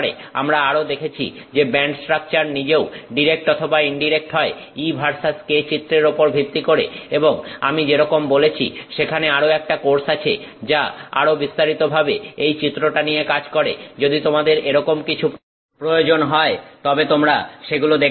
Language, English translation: Bengali, We also noted that the band structure itself could be direct or indirect based on the E versus K diagram and as I said there is another course which deals with these diagrams in much greater detail you can look that up if that is something that is valuable to you